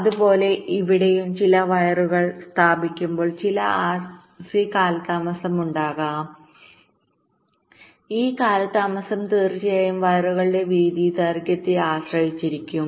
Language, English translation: Malayalam, so similarly, here also, when some, some wires are laid out, there can be some rc delays and this delays will be dependent up on the width of the wires, of course, the lengths